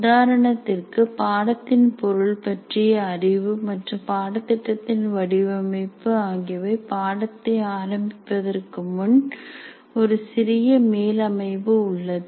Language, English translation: Tamil, For example, the knowledge of subject matter and design of the course are prior to the starting of the course